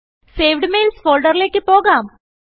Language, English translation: Malayalam, Lets go to the Saved Mails folder